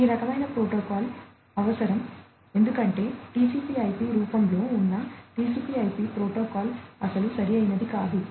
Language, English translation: Telugu, So, this kind of protocol was required, because the existing TCP IP protocol in its in the TCP IP form was not very suitable